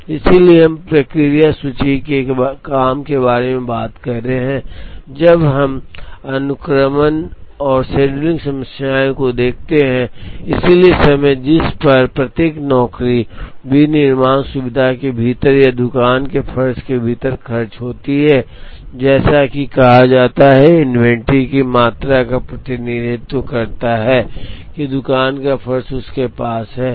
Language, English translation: Hindi, So, we are talking about work in process inventory, when we look at sequencing and scheduling problems, so the time at which each job spends within the manufacturing facility or within the shop floor as it is called represents the amount of inventory that the shop floor is having